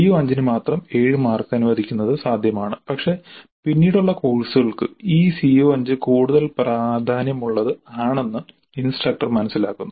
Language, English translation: Malayalam, It is possible to allocate 7 marks only to the CO5 but the instructor perceives the CO5 to be more important, significant for later courses